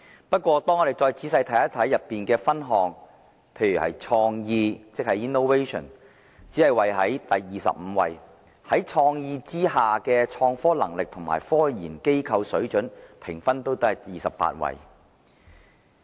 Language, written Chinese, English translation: Cantonese, 不過，我們仔細看看報告中的分項後發現，"創意"只是位列第二十五位，在"創意"之下的"創科能力"和"科研機構水準"的評分均只是位列第二十八位。, However if we read through the Report carefully we will find that Hong Kong only ranked 25 on Innovation and 28 on both Capacity for innovation and Quality of scientific research institutions under the item of Innovation